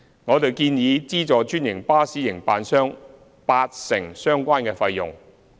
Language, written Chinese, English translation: Cantonese, 我們建議資助專營巴士營辦商八成相關費用。, We propose to subsidize the franchised bus operators 80 % of the relevant costs